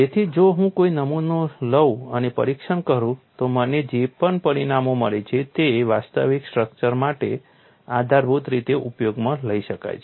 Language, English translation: Gujarati, So, if I take a sample and test, whatever the results I get that could be dependably used for actual structures